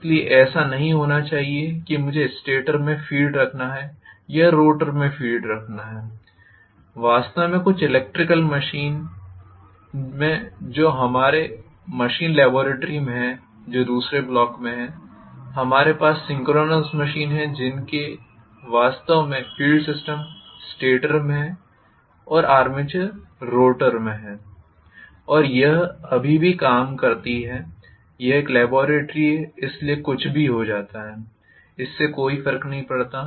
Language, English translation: Hindi, So it need not be the case that I have to have field in the stator or I have to have field in the rotor, in fact in some of the electrical machines that are there in our machines laboratory which is there in second block we have synchronous machines having the field system actually in the stator and the armature in the rotor and it still works, it is a laboratory so anything goes, it does not matter